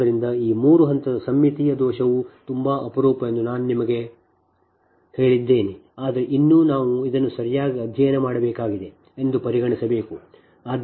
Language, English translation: Kannada, so this three phase symmetrical fault as i told you that it is very rare, but still we have to consi[der] we have to study this one right